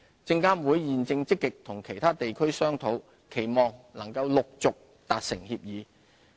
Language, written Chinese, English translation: Cantonese, 證監會現正積極與其他地區商討，期望能陸續達成協議。, SFC is actively negotiating similar arrangements with other jurisdictions and we hope that more agreements can be concluded